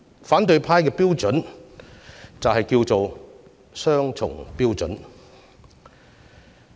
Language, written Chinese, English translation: Cantonese, 反對派的標準，就是雙重標準。, The opposition camp has only one criterion and that is double standard